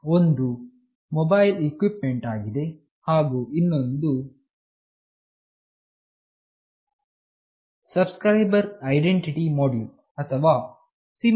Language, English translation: Kannada, One is the mobile equipment, and another is Subscriber Identity Module or SIM